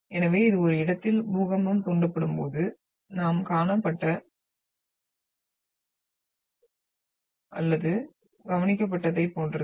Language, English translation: Tamil, So this is all like very well seen or observed when an earthquake is triggered at one location